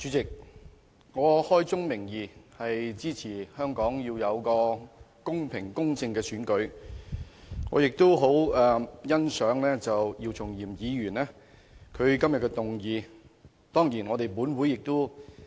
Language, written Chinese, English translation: Cantonese, 主席，開宗明義，我支持香港的特首選舉必須公平、公正，我也很欣賞姚松炎議員今天提出這項議案辯論。, President I would like to state at the outset that I support the conduct of the Chief Executive Election of Hong Kong in an equitable and fair manner . I also appreciate Dr YIU Chung - yim for moving this motion for debate today